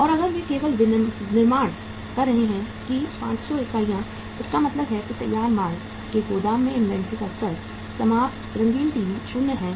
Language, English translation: Hindi, And if they are only manufacturing that 500 units it means the level of inventory in the warehouse of the finished goods, finished colour TVs is 0